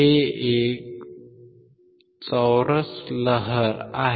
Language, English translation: Marathi, It is a square wave